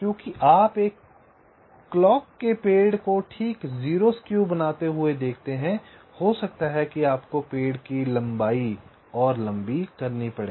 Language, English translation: Hindi, because you see, to make a clock tree exactly zero skew, maybe you may have to make some tree length longer, like like